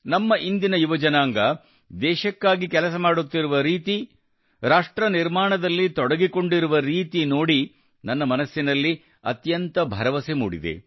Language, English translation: Kannada, The way our youth of today are working for the country, and have joined nation building, makes me filled with confidence